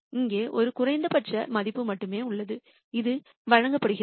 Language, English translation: Tamil, There is only one minimum here and that is given by this